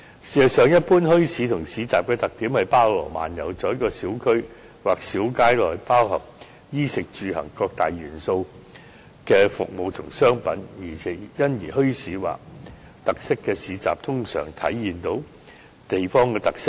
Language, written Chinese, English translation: Cantonese, 事實上，一般墟市和市集的特點是包羅萬有，在一個小區或小街內包含衣、食、住、行各大元素的服務和商品，因而墟市或特色市集通常能體現地方特色。, In fact generally speaking bazaars and markets are characterized by their diversity providing services and commodities that cover different aspects of our daily living in a small community or in a single street . Therefore a bazaar with special features usually reflects the characteristics of the local community